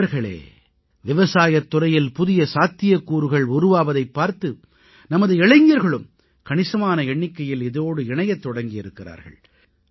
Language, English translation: Tamil, Friends, with emerging possibilities in the agriculture sector, more and more youth are now engaging themselves in this field